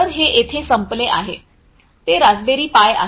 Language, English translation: Marathi, So, it is basically over here it is the raspberry pi